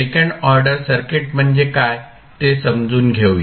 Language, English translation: Marathi, So, let us first understand what we mean by second order circuit